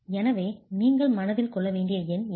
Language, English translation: Tamil, So, that's a number you want to keep in mind